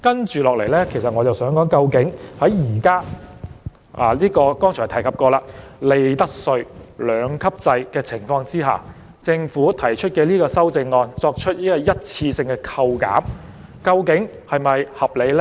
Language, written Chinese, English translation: Cantonese, 接下來，我想談談究竟在剛才所提及的利得稅兩級制的情況下，政府提出修正案作出一次性扣減，究竟是否合理呢。, Next I would like to talk about whether it is reasonable for the Government to propose an amendment to provide one - off tax reductions in the context of the two - tiered profits tax rate regime mentioned just now